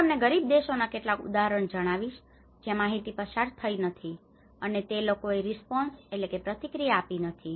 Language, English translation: Gujarati, I will tell you some examples in the poorer countries where the information has not been passed, and it has not been people who have not responded